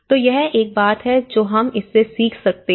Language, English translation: Hindi, So, this is one thing we can learn from this